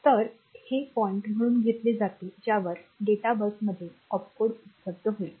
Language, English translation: Marathi, So, that is taken as the point at which the data bus will have the Opcode available